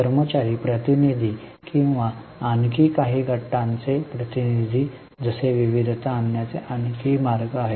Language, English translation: Marathi, There are also other ways to bring in diversity like employee representatives or representatives of some more groups